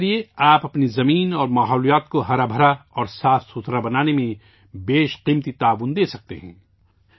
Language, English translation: Urdu, Through this, you can make invaluable contribution in making our earth and nature green and clean